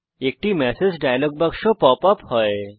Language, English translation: Bengali, A message dialog box pops up